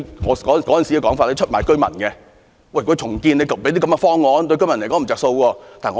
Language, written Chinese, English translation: Cantonese, 我當時指他們出賣居民，就重建提出的方案對居民沒有益處。, I criticized them for betraying local residents because their redevelopment proposals did not bring benefits to residents